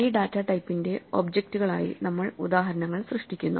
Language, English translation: Malayalam, And then we create instances of this data type as objects